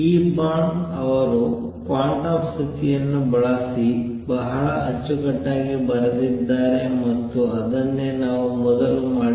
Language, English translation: Kannada, Using these Born wrote the quantum condition in a very neat way and that is what we are going to do first